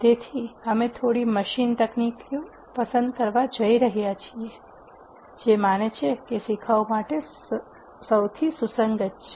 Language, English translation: Gujarati, So, we are going to pick a few machine techniques which we believe are the most relevant for a beginner